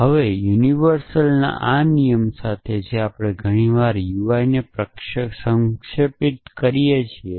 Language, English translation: Gujarati, with this rule of universal in sensation which we often abbreviate to UI